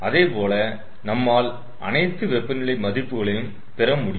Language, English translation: Tamil, so similarly all the other temperature values we will get